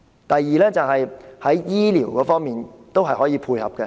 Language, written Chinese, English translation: Cantonese, 第二，在醫療方面，政府可以有政策配合。, Second in the area of health care the Government can put in place some policies to provide support